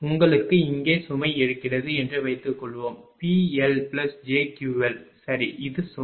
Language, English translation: Tamil, Suppose you have load here is suppose P L plus j Q L right, this is the load